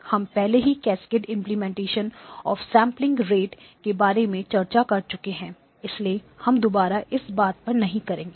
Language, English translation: Hindi, By the way the cascaded implementation of a sampling rate converter we have already discussed so I will not touch upon that again